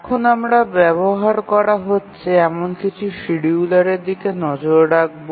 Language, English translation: Bengali, So, now we will start looking at some of the schedulers that are being used